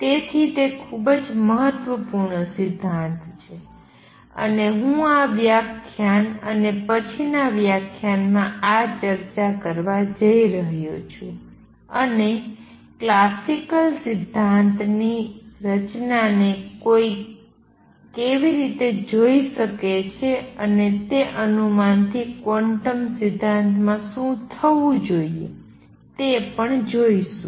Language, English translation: Gujarati, So, it is a very important principle and I am going to spend this lecture and the next lecture discussing this and also see how one could look at the structure of classical theory and from that guess what should happen in quantum theory